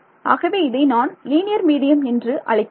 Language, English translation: Tamil, So, I am going to assume a linear medium linear medium means